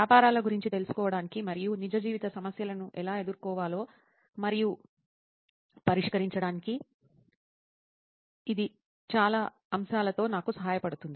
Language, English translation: Telugu, And it is helping me with many aspects to know about businesses and how to deal with real life problems and solve them